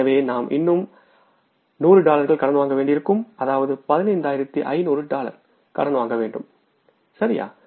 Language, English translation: Tamil, So we'll have to borrow by 100 more dollars that is $15,500 borings, right